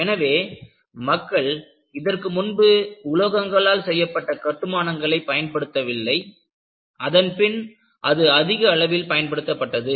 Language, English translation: Tamil, So, earlier, people were not using constructions made of metals, there was an explosive use of metals